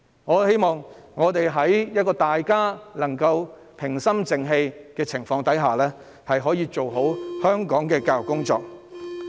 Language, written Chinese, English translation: Cantonese, 我希望我們可以在平心靜氣的氣氛下，做好香港的教育工作。, I hope we can do a good job in Hong Kongs education in a calm and dispassionate atmosphere